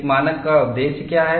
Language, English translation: Hindi, What is the purpose of a standard